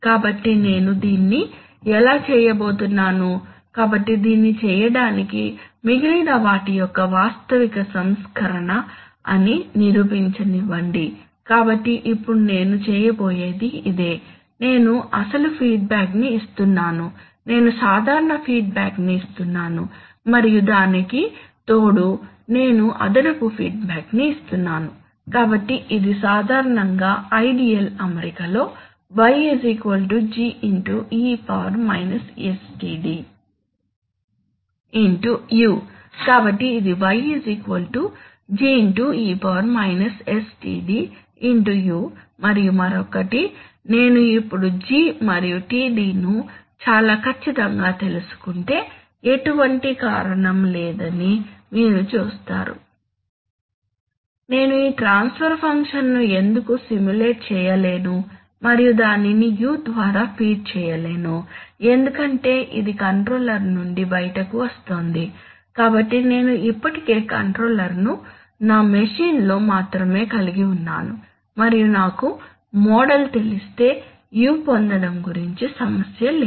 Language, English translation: Telugu, So then how am I going to do this, so to do this, let me prove it a so called realizable version of the remaining, so now what I am going to do is this, so you see I am giving the original feedback, which I was giving normal feedback and apart from that I am giving an additional feedback, so what is this typically speaking in the ideal setting y is equal to G into e sTd into U correct, so this is y is equal to G into e sTd into U and on the other hand now you see that if, this is a big if but if I knew G and Td very accurately then there is no reason Why I cannot simulate this transfer function and then feed it by U, see U, I have because it is coming out of the controller, so I already have it controller is in my machine only and if I knew the model, so about getting U there is no problem but about getting